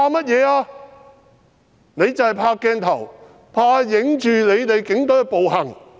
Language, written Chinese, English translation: Cantonese, 他們是怕鏡頭拍攝到警隊的暴行。, They are afraid that the police brutality is filmed by the cameras